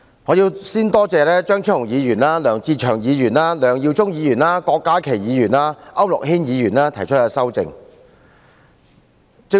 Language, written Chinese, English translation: Cantonese, 我首先感謝張超雄議員、梁志祥議員、梁耀忠議員、郭家麒議員及區諾軒議員提出修正案。, Before all else I thank Dr Fernando CHEUNG Mr LEUNG Che - cheung Mr LEUNG Yiu - chung Dr KWOK Ka - ki and Mr AU Nok - hin for proposing their amendments